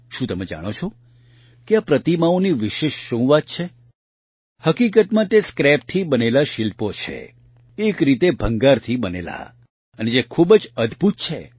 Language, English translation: Gujarati, Actually these are sculptures made from scrap; in a way, made of junk and which are very amazing